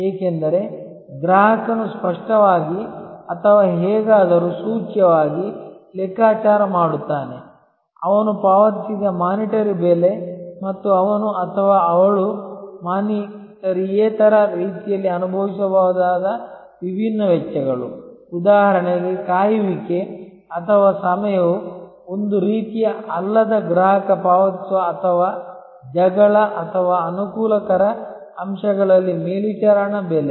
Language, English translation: Kannada, Because, the customer also calculates either explicitly or somehow implicitly, the monitory price paid by him as well as the different costs he or she might incur in a non monitory way for example, the wait or time is actually a kind of a non monitory price the customer pays or hassle or in the convenience factors